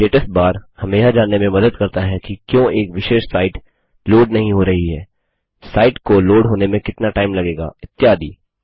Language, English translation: Hindi, The Status bar can help you to understand why a particular site is not loading, the time it may take to load, etc